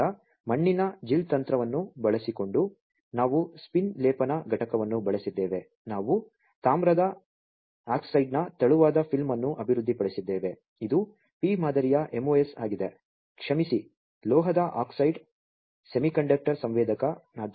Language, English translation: Kannada, And then using soil gel technique we have using a spin coating unit we have developed a thin film of copper oxide, this is a p type MOS, sorry, metal oxide semiconductor sensor